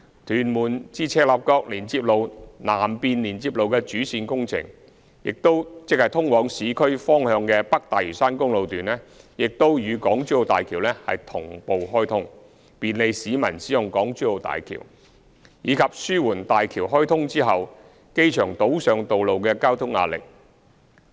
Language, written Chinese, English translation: Cantonese, 屯門至赤鱲角連接路南面連接路的主線工程，即通往市區方向的北大嶼山公路段，亦與港珠澳大橋同步開通，便利市民使用港珠澳大橋，以及紓緩大橋開通後機場島上道路的交通壓力。, The mainline section of the Southern Connection of the Tuen Mun - Chek Lap Kok Link ie . the urban - bound North Lantau Highway was also commissioned concurrently with HZMB making it convenient for the public to use HZMB and alleviating the traffic pressure on roads on the Airport Island following the commissioning of HZMB